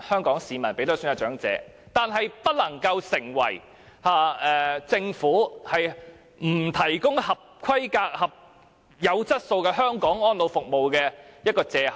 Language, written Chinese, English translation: Cantonese, 但是，這不能夠成為政府不提供合規格、有質素的香港安老服務的借口。, But this should not become the excuse for the Government not to provide qualified elderly care services with quality in Hong Kong